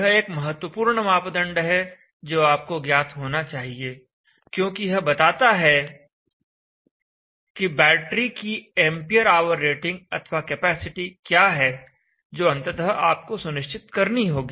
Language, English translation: Hindi, Now this is the important parameter that you should know because this tell you what is ampere rating capacitor of the battery that you will finally have to select